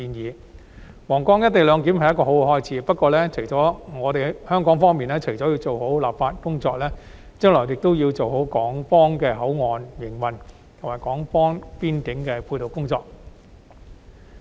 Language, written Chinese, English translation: Cantonese, 推展皇崗口岸"一地兩檢"是一個好開始，不過，香港方面除了要做好本地立法工作，將來亦要做好港方口岸區的營運，以及港方邊境的配套工作。, Now taking forward co - location arrangement at the Huanggang Port is a good start but apart from completing the work on local legislation Hong Kong also needs to do a proper job in operating HKPA and making supporting arrangements in Hong Kongs boundary area